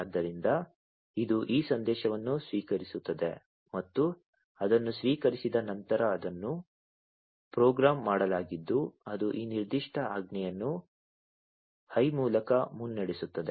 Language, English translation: Kannada, So, it receives this message, and once it has received it is programmed in such a way that it is going to glow that led through this particular command high, right